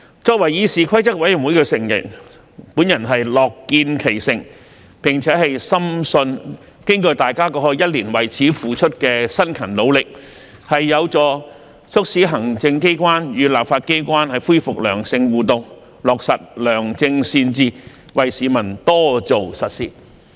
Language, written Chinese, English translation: Cantonese, 作為議事規則委員會的成員，我樂見其成，並且深信經過大家過去一年為此付出的辛勤努力，有助促使行政機關與立法機關恢復良性互動，落實良政善治，為市民多做實事。, As a CRoP member I am glad to see its fruition and strongly believe that our strenuous efforts made over the past year can help resume positive interaction between the executive and the legislature implement good governance and do more practical work for the public